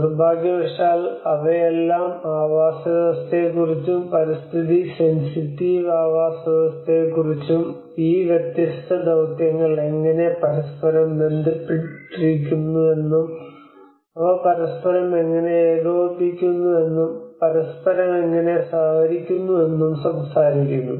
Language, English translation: Malayalam, But unfortunately they are all talking about habitat and Eco sensitive habitats and how they are interrelating how these different missions are interrelated to each other, how they are coordinating with each other, how they are cooperating with each other